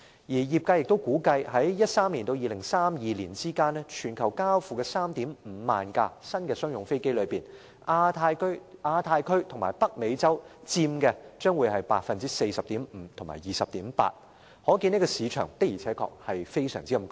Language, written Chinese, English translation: Cantonese, 而業界更預期在2013年至2032年間，全球交付的 35,000 架新商用飛機當中，亞太區和北美洲分別佔 40.5% 和 20.8%， 可見市場的確非常龐大。, The industry itself expects that the Asia - Pacific region and North America will account for 40.5 % and 20.8 % respectively of the 35 000 new commercial aircraft delivered worldwide between 2013 and 2032 and this helps illustrate the huge market for commercial aircraft